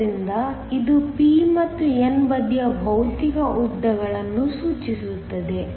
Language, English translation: Kannada, So, this refers to the physical lengths of the p and n side